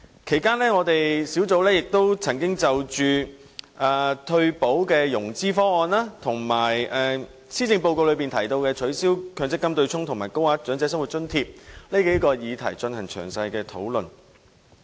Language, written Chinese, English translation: Cantonese, 其間，小組委員會曾就退休保障融資方案、施政報告中提及的取消強制性公積金對沖機制和高額長者生活津貼等數個議題進行詳細討論。, During the said period the Subcommittee held detailed discussions on a number of questions including the financial arrangements for universal retirement protection the abolition of the Mandatory Provident Fund MPF offsetting arrangement as mentioned in the Policy Address and the Higher Old Age Living Allowance HOALA and so on